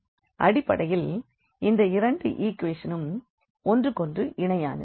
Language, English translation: Tamil, So, both the equations are basically parallel to each other